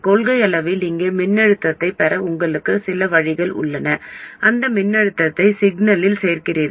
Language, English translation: Tamil, In principle, you have some way of getting a voltage here, you add that voltage to the signal